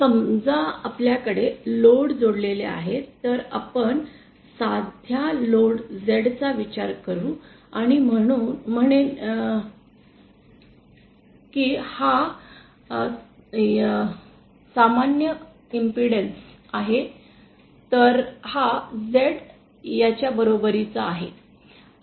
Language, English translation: Marathi, Now suppose we have a load connected let us consider a simple load Z and say it is normalised impedance is this, so this small z is equal to this